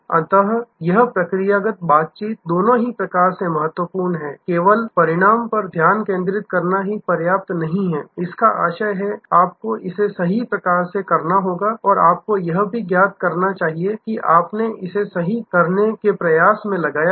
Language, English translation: Hindi, So, this procedure interaction are both important just by focusing on outcome is not enough; that means, you must set it right and you must make it known that you have put in effort to set it right